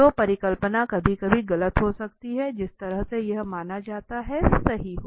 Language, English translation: Hindi, Right so the hypothesis could be sometimes wrong that the way assumed it could be right